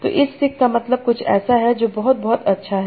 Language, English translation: Hindi, So this sick means something that is very, very cool